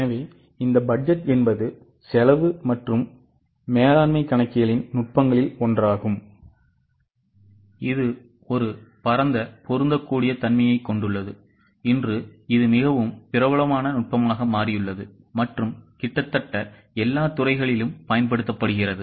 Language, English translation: Tamil, So this budget is one of the techniques of cost and management accounting which has a vast applicability and today it has become very popular technique and used in almost all walks of life